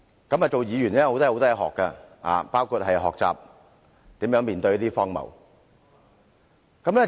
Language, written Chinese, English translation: Cantonese, 擔任議員可以學到很多東西，包括學習如何面對荒謬。, One can learn a lot being a Legislative Council Member including how to deal with absurdity